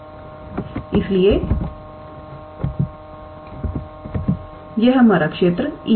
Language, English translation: Hindi, So, this is our region E right